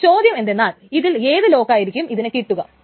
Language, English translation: Malayalam, Now the question is which lock will it get